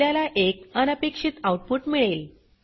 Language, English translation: Marathi, We get an unexpected output